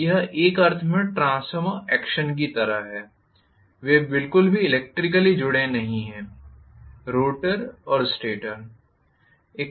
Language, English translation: Hindi, So, it is like transformer action in one sense, they are not electrically connected at all, the rotor and the stator